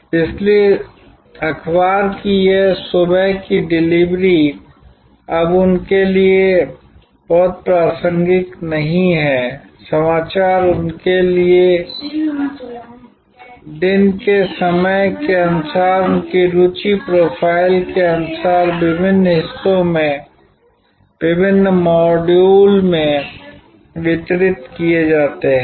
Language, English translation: Hindi, So, this morning delivery of newspaper is no longer very relevant to them, news gets delivered according to their time of the day according to their interest profile in various chunks, in various modules